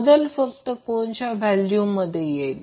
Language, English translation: Marathi, The only change will be the angle value